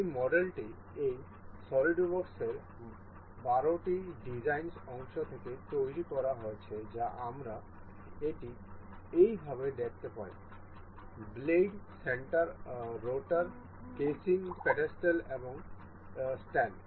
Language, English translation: Bengali, This model is built out of 12 design parts in this SolidWorks that we can see it like this; the blades, the rotor in stator, the casing, the pedestal and the stand